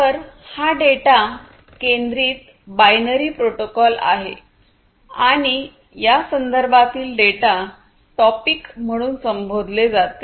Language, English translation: Marathi, So, it is a data centric binary protocol and this data in this context are termed as “topics”